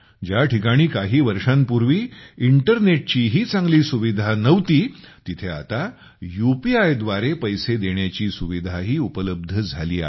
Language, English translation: Marathi, In places where there was no good internet facility till a few years ago, now there is also the facility of payment through UPI